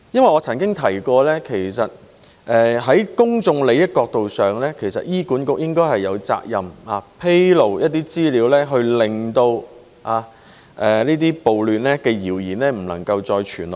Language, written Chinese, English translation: Cantonese, 我曾提及，從公眾利益角度而言，醫管局應有責任披露部分資料，令這些暴亂的謠言不能夠再流傳下去。, I said that from the perspective of public interests the Hospital Authority should have the responsibility to disclose part of the information to stop rumours which would instigate riots from further spreading